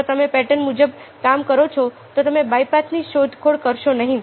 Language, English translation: Gujarati, so if you work according to patterns, then you do not explore the bypaths